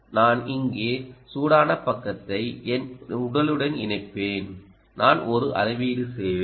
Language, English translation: Tamil, i will connect the hot side here to my body, ok, and i will make a measurement